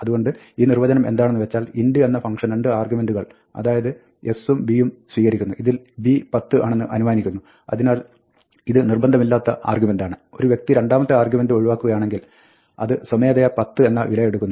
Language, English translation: Malayalam, So, what this definition says is that, int takes 2 arguments s and b and b is assumed to be 10, and is hence, optional; if the person omits the second argument, then it will automatically take the value 10